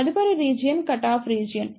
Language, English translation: Telugu, The next region is the Cut off Region